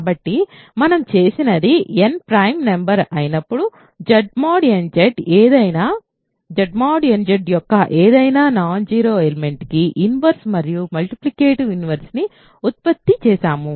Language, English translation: Telugu, So, what we have done is produced an inverse and multiplicative inverse for any non zero element of Z mod nZ when n is a prime number